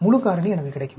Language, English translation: Tamil, So, full factorial I will get